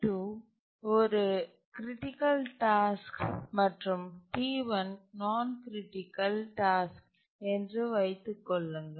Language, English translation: Tamil, Now assume that T2 is a critical task and T1 is not so critical